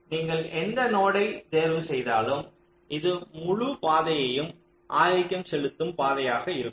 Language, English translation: Tamil, so you pick any of the nodes, this entire path will be a dominating path